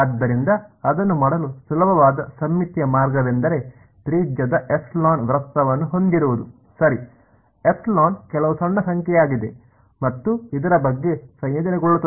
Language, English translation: Kannada, So, the easiest symmetrical way of doing it is to have a circle of radius epsilon ok epsilon is some small number and integrate about this